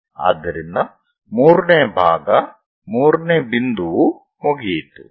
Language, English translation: Kannada, So, 3rd part 3rd point is done